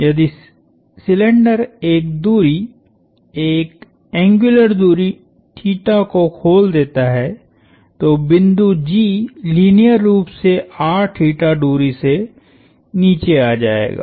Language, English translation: Hindi, If the cylinder unwound a distance, an angular distance theta, the point G would come down a distance R times theta in a linear sense